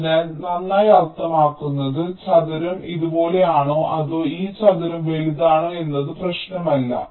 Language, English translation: Malayalam, so well, means ah, like it really does not matter whether square is like this or this square is bigger